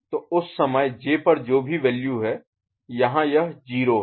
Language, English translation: Hindi, So, at that time whatever is the value that is present at for J so here it is 0